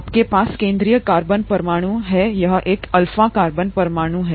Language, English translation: Hindi, You have the central carbon atom here an alpha carbon atom